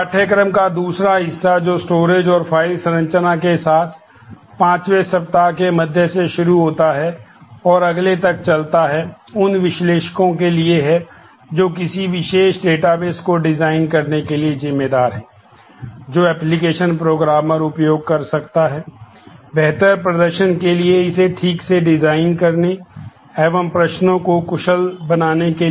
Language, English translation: Hindi, The other half of the course which start from the middle of week five with the storage and file structure and goes on till the next is meant for the analysts who are responsible either for designing a particular database which the application programmer can use tune that for performance index it properly design queries to be efficient